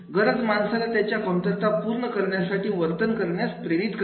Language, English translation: Marathi, A need motivates a person to behave in a manner to satisfy the deficiency